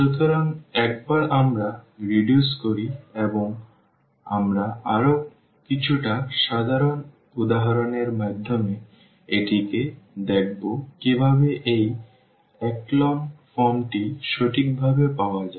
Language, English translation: Bengali, So, once we reduce and we will see in one of the examples a little more general example how to exactly get this echelon form